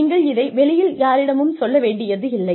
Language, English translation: Tamil, You do not need to announce this to anyone